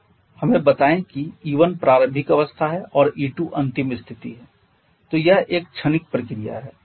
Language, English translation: Hindi, Show let us say E1 is the initial state and it is a final state then if you this at the transition process